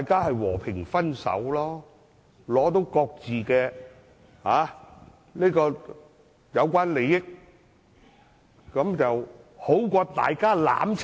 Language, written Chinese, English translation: Cantonese, 是和平分手，拿取各自的有關利益，總好過大家"攬炒"。, A peaceful breakup is the solution and each party can get what it wants . This is better than perishing together